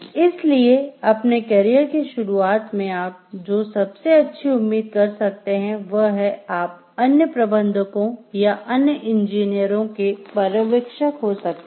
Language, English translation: Hindi, So, what best you can expect at the start of your carrier is the like, you can be a supervisor to other managers, or other engineers